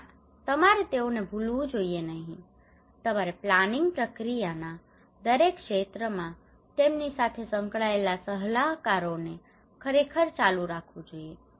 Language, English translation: Gujarati, No, you should not forget them you should actually continue consultations with them involving them in every sphere of the planning process